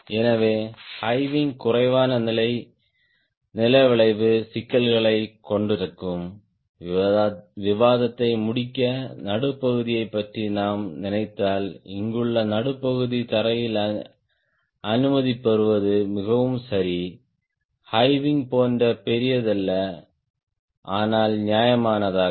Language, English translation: Tamil, just to complete the discussion, if we think of mid wing, the mid wing, here also the ground clearance is fairly ok, not as large as high wing, but fair off